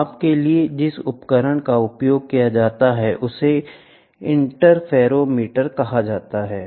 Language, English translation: Hindi, The instrument which is used for measurement is called as interferometer